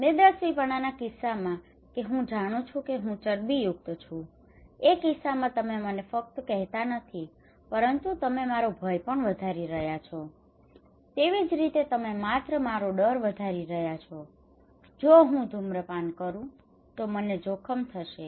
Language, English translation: Gujarati, In case of obesity that I know that I am fatty, but you are not telling me you are only increasing my fear, you are only increasing my fear that if I smoke I will be at danger